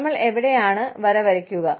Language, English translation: Malayalam, Where do we, draw the line